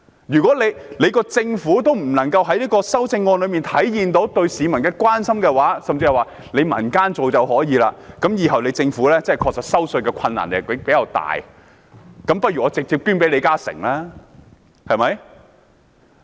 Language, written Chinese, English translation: Cantonese, 如果政府無法在修正案中體現對市民的關心，甚至說可由民間來做，以後政府實在難以徵稅。我倒不如直接把稅款捐給李嘉誠，對嗎？, If the Government fails to show its care for the people in the amendment and worse yet if it leaves matters to the hands to the people making tax collection in future difficult I might as well donate my tax money to LI Ka - shing right?